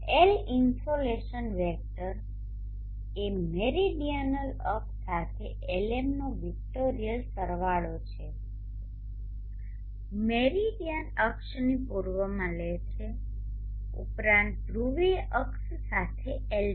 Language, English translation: Gujarati, And L the insulation vector is the vectorial sum of Lm along the meridional axis, Le along the east of the meridian axis plus Lp along the polar axis